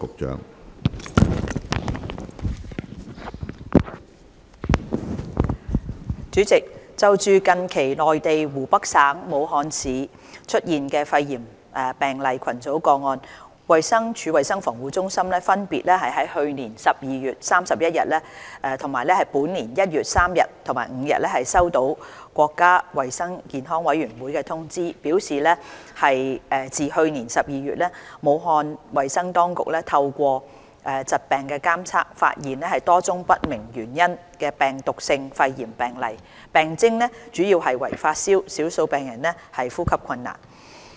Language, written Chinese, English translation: Cantonese, 主席，就近期內地湖北省武漢市出現肺炎病例群組個案，衞生署衞生防護中心分別於去年12月31日、本年1月3日及5日收到國家衞生健康委員會通知，表示自去年12月，武漢衞生當局透過疾病監測發現多宗不明原因的病毒性肺炎病例，病徵主要為發燒，少數病人呼吸困難。, President the Centre for Health Protection of the Department of Health received notifications from the National Health Commission NHC on 31 December 2019 and 3 and 5 January 2020 respectively regarding the cluster of pneumonia cases recently identified in Wuhan Hubei Province . According to the NHC a number of viral pneumonia cases with unknown cause have been identified through disease surveillance since December 2019 . Symptoms were mainly fever while a few had presented with shortness of breath